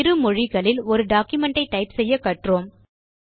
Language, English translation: Tamil, We have seen how to type a bilingual document